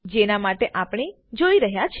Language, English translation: Gujarati, This is what we were watching for